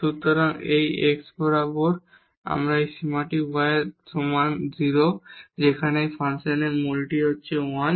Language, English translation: Bengali, So, this limit along this x is equal to y is0 whereas, the value of this function at origin is 1